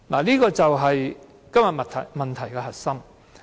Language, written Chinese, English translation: Cantonese, 這就是今天問題的核心。, This is the crux of the issue today